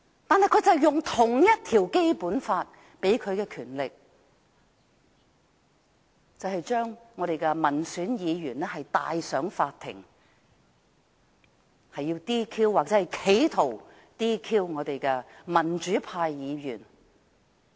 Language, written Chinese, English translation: Cantonese, 但他們卻引用《基本法》同一項條文賦予的權力，將我們的民選議員帶上法庭，要 "DQ" 或企圖 "DQ" 民主派議員。, Nonetheless the powers conferred by the same provision of the Basic Law was invoked to bring our elected Members to court in an attempt or in order to DQ disqualify Members of the pro - democracy camp